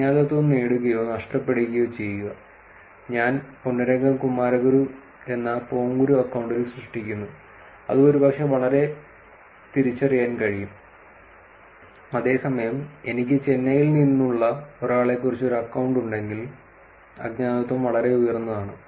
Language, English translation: Malayalam, Gain or lose anonymity, I create in account Ponguru which is Ponnurangam Kumaraguru which is probably very identifiable, whereas if I have an account saying a guy from Chennai, the anonymity is pretty high